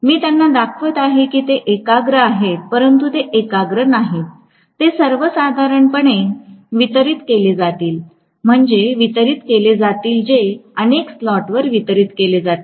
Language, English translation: Marathi, I am showing them as though they are concentrated but they are not concentrated, they will be distributed normally, distributed meaning it is going to be distributed over several slots